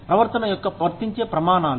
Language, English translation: Telugu, Applicable standards of behavior